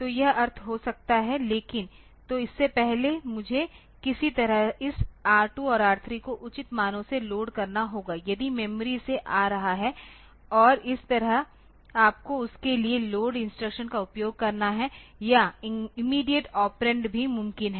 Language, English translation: Hindi, So, this may be the meaning, but so, before that I had to somehow load this R2 and R3 by proper values if may be coming from memory and that way you have to use load instruction for that or there is the immediate operands are also possible